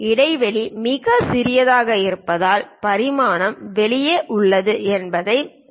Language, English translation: Tamil, Note that the dimension is outside because the gap is too small